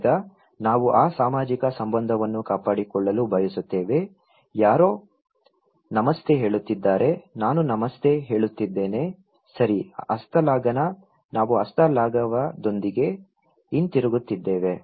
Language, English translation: Kannada, Now, we want to maintain that social relationship, somebody is saying Namaste, I am saying Namaste, okay, handshake; we are returning with handshake